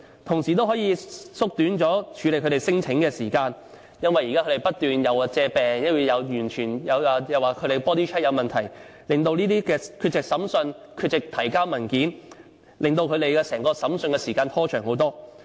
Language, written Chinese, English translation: Cantonese, 同時也可以縮短處理他們聲請的時間，因為現在他們不斷以種種理由，例如生病、body check 發現問題等作為借口，而缺席聆訊或推遲提交文件，令整個審訊拖延很長時間。, At the same time it can also shorten the time for processing their claims . It is because that they are using various excuses such as feeling sick taking body check and having problems to absent themselves from trials or delay the submission of papers . In this way trials are delayed